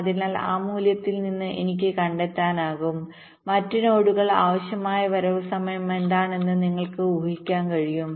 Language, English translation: Malayalam, from that value i can back trace and you can deduce what will be the required arrival time for the other nodes